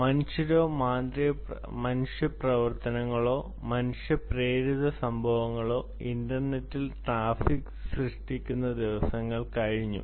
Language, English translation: Malayalam, gone are the days where humans were human action or human, human triggered events was generating traffic on the internet